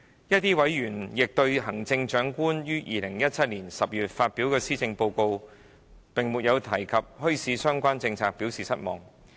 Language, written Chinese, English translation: Cantonese, 部分委員亦對行政長官於2017年10月發表的施政報告並沒有提及墟市相關政策表示失望。, Some members of the Subcommittee are disappointed about the absence of any bazaar - related policies in the Chief Executives Policy Address published in October 2017